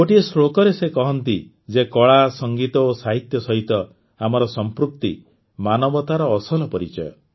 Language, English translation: Odia, In one of the verses he says that one's attachment to art, music and literature is the real identity of humanity